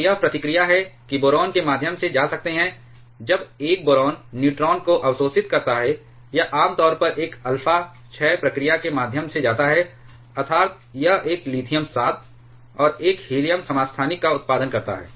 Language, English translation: Hindi, So, this is the reaction that boron can go through, when a boron absorbs neutron it generally goes through an alpha decay process; that is, it is produces a lithium 7, and 1 helium isotopes